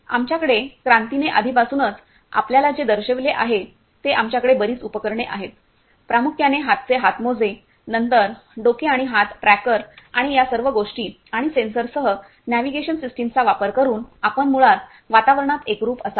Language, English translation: Marathi, So, we have so many equipment what Kranti already shown to you, primarily the hand gloves then head and hand tracker and then using all those things and the navigation system with the sensors you will be basically immersed in the environment